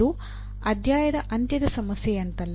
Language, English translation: Kannada, It is not like end of the chapter problem